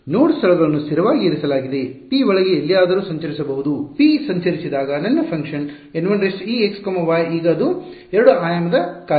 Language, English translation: Kannada, The node locations are fixed P can roam around anywhere inside, as P roams around my function N 1 e is now a 2 dimensional function